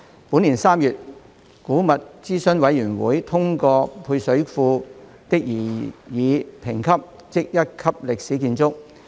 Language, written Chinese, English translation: Cantonese, 本年3月，古物諮詢委員會通過配水庫的擬議評級。, In March this year the Antiquities Advisory Board endorsed the recommended grading for the service reservoir